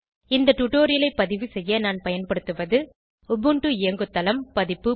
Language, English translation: Tamil, To record this tutorial, I am using Ubuntu OS version